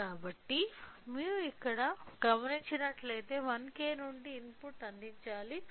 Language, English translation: Telugu, So, if you observe here what we required the input has to be provided from 1K